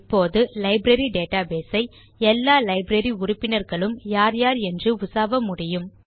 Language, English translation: Tamil, Now we can query the Library database for all the members of the Library